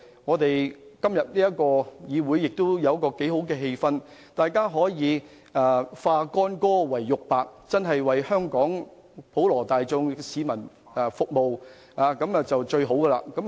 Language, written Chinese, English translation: Cantonese, 議會今天的辯論氣氛良好，議員可以化干戈為玉帛，真正為香港普羅大眾服務，這便是最理想的情況。, Todays debate in the Chamber has been conducted in an amicable atmosphere . It would be the most desirable situation if Members could bury the hatchet and truly work for the well - being of the broad masses